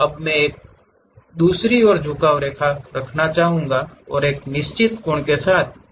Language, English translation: Hindi, Now, I would like to have an inclined line from one to other and I would like to draw one more line with certain angle